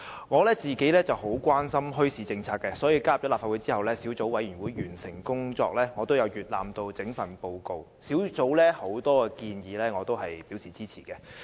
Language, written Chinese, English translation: Cantonese, 我十分關心墟市政策，所以在加入立法會後，在小組委員會完成工作後，我也曾閱覽整份報告，對於小組委員會的很多建議我也是支持的。, As I am very concerned about policies on bazaars I have read the whole report after I became a Member of the Legislative Council and upon completion of the work of the Subcommittee . I support many of the recommendations of the Subcommittee